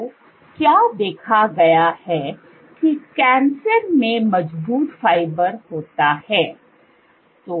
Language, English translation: Hindi, So, what is observed is that there is strong fiber in cancer